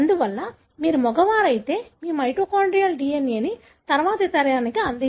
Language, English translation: Telugu, Therefore, if you are a male you don’t contribute your mitochondrial DNA to the next generation